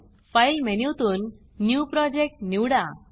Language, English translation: Marathi, From the File menu, choose New Project